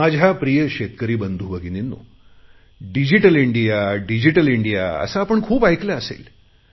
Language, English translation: Marathi, My dear farmer brothers and sisters, you must have repeatedly heard the term Digital India